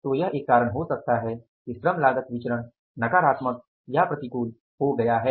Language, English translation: Hindi, So, one reason could be that labor cost variance has become negative or adverse